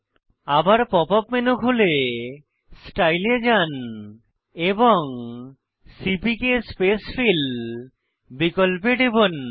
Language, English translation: Bengali, Open the pop up menu again, go to Style, Scheme and click on CPK spacefill option